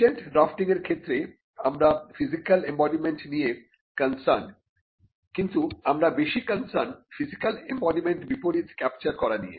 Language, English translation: Bengali, But in patent drafting, we are concerned about the physical embodiment, but we are more concerned about capturing the physical embodiment inverts